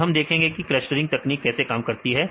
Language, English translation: Hindi, So, now, we will see how this clustering techniques work